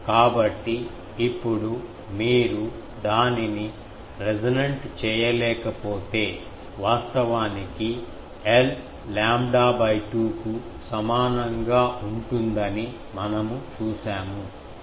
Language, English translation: Telugu, So, now, if you cannot make it resonant because we have seen that actually at l is equal to lambda by 2 there is a 42